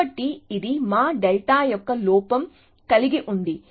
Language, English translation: Telugu, So, it has an error of our delta